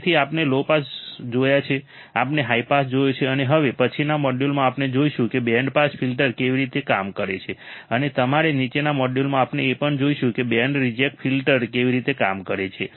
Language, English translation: Gujarati, So, we have seen low pass, we have seen high pass now in the next module we will see how the band pass filter works and in your following module we will also see how the band reject filter works